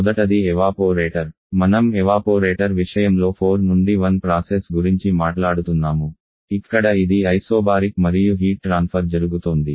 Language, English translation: Telugu, First the evaporator so for the evaporator where we are talking about the process 4 to1 here it is isobaric and there is a heat transfer going on